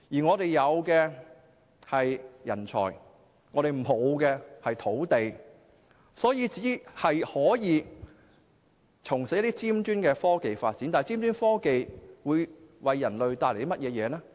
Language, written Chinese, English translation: Cantonese, 我們有人才但沒有土地，所以只可從事一些尖端科技發展，但尖端科技會為人類帶來甚麼好處？, We have talent but we do not have land; thus we can only engage in the development of high - end technologies . But how will high - end technologies benefit human beings?